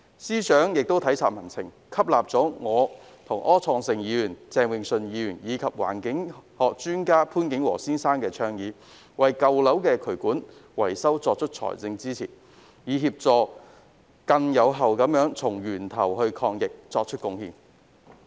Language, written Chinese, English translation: Cantonese, 司長亦體察民情，接納了我、柯創盛議員、鄭泳舜議員及環境學專家潘景和先生的倡議，提供財政支持為舊樓進行渠管維修，從而更有效地從源頭抗疫。, Sensing the public pulse FS has also accepted the suggestion put forward by me Mr Wilson OR Mr Vincent CHENG and the environmentalist Mr Alex POON King - wo to provide financial support for drainage repairs of old buildings with a view to effectively tackling the epidemic at source